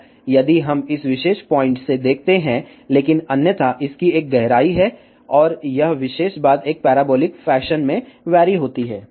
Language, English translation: Hindi, If we look from this particular point, but otherwise it has a depth, and this particular thing varies in a parabolic fashion